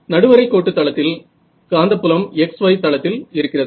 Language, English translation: Tamil, So, in the equatorial plane, the magnetic field is in the x y plane